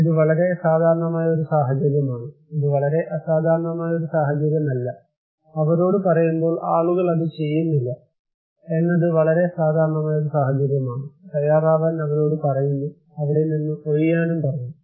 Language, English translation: Malayalam, this is very common scenario this is not a very extraordinary scenario, this is very common scenario that people are not doing it when we are telling them; telling them to prepare, telling them to evacuate